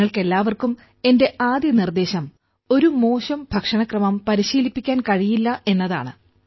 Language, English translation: Malayalam, My first suggestion to all of you is 'one cannot out train a bad diet'